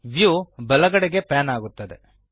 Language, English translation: Kannada, The view pans to the right